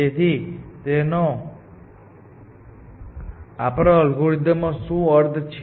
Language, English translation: Gujarati, What is the implication of this on our algorithm